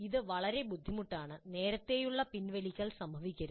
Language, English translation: Malayalam, So that kind of early withdrawal should not happen